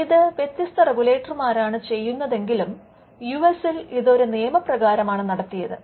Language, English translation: Malayalam, So, though it is done by different regulators, in the US it was done by a statute an Act